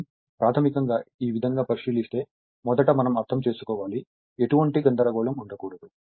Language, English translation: Telugu, So, basically if you if you consider like this, first little bit we have to understand; there should not be any confusion